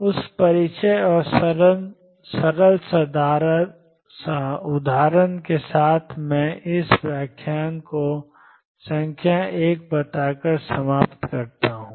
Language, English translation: Hindi, With that introduction and simple example I conclude this lecture by stating that number 1